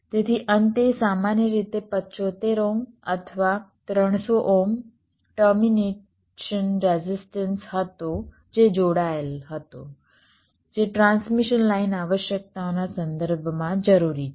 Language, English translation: Gujarati, so at the end there was typically a seventy five ohm or three hundred ohm termination resistance which was connected